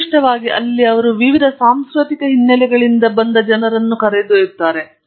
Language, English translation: Kannada, Typically, where they take people from different cultural backgrounds